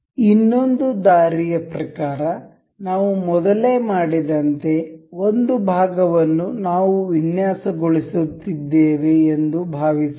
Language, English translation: Kannada, Another way like suppose we were designing the one of the parts, like we have done earlier